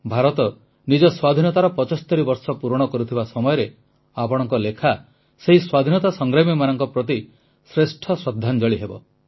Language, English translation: Odia, Now, as India will celebrate 75 years of her freedom, your writings will be the best tribute to those heroes of our freedom